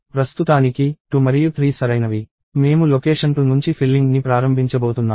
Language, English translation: Telugu, So, as of now, 2 and 3 are correct; I am going to start filling up from location 2 onwards